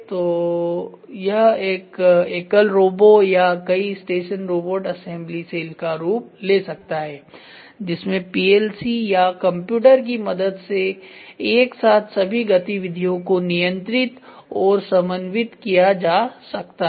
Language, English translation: Hindi, So, the form of a single robo or multi station robotic assembly cells with all activities simultaneously control and coordinated by PLC or computer